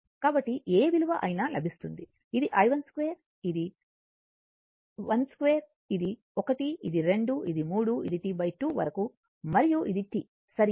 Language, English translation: Telugu, So, whatever value you will get, this is i 1 square, this is i 2, this is 1, this is 2, this is 3 like this up to T by 2 and this is T, right